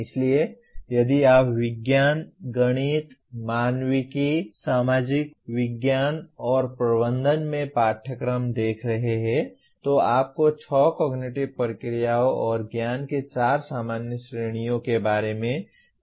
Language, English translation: Hindi, So if you are looking at courses in sciences, mathematics, humanities, social sciences and management you need to worry about six cognitive processes and four general categories of knowledge